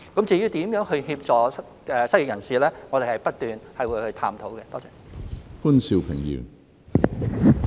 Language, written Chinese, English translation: Cantonese, 至於如何協助失業人士，我們會不斷探討。, As for how we can help the unemployed we will continue to study this issue